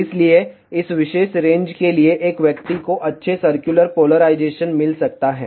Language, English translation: Hindi, So, hence for this particular range one can get decent circular polarization